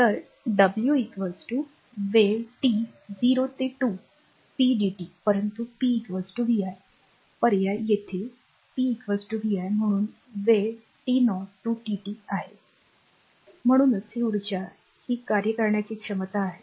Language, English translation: Marathi, So, w is equal to time t 0 to 2 pdt, but p is equal to vi you substitute here p is equal to vi therefore, time is t 0 to t dt right therefore, this energy is the that therefore, the energy is the capacity to do work